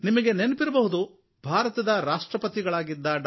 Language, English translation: Kannada, You may remember that the former President of India, Dr A